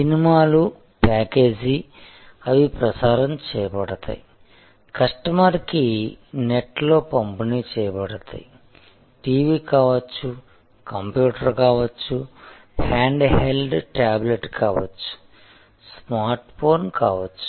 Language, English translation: Telugu, Now, movies are packaged, they are streamed, delivered over the net on to the device of the customer, could be TV, could be computer, could be a handheld tablet, could be phone a smart phone